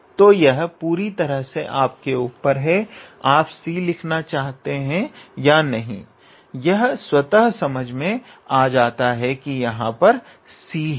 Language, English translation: Hindi, So, it is totally up to you whether you want to write the c or not it is under understood that it will have a c here